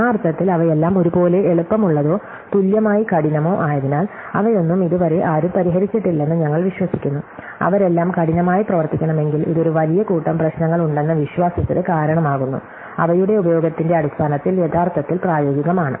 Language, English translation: Malayalam, So, in that sense, all of them are equally easy or equally hard and since, we tend to believe that nobody has solved any of them yet, if they must all be hard, this gives to the believe that there is large group of problems which are actually practical in terms of their usefulness